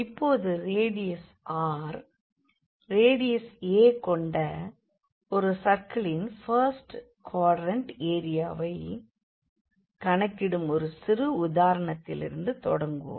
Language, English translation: Tamil, So, now, we want to compute, we want to start with a very simple example compute area of the first quadrant of a circle of radius r, of radius a